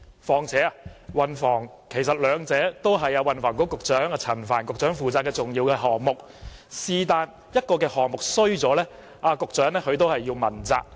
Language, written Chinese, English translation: Cantonese, 其實，運輸和房屋都是運輸及房屋局陳帆局長負責的重要項目，任何一個項目出現問題，局長都要被問責。, In fact transport and housing are important tasks for which Secretary for Transport and Housing Frank CHAN is responsible . The Secretary has to be accountable for every task under his scope of responsibility